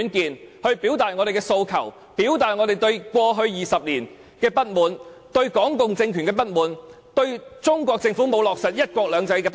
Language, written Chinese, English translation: Cantonese, 讓我們一起表達我們的訴求及過去20年的不滿，還有我們對港共政權的不滿，以及對中國政府沒有落實"一國兩制"的不滿......, Let us express our aspirations and dissatisfactions in the past 20 years as well as our dissatisfactions with the Hong Kong communist regime and the failure of the Chinese Government in implementing one country two systems